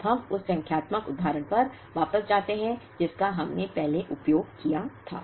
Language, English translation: Hindi, Now, let us go back to the numerical example that we have used earlier